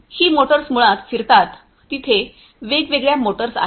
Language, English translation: Marathi, These motors basically rotate in you know there are 4 different motors